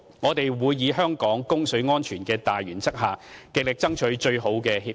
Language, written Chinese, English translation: Cantonese, 我們會以香港供水安全的大原則，極力爭取最好的協議。, We will strive for the best deal on the premise of ensuring Hong Kongs water supply security